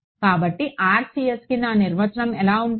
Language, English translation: Telugu, So, my definition of RCS will be